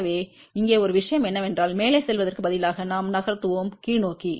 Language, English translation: Tamil, So, the one thing here is that instead of a moving up, let us move downward